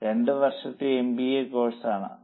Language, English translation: Malayalam, It is a 2 year MBA course